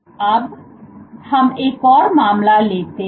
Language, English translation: Hindi, Now, let us take another case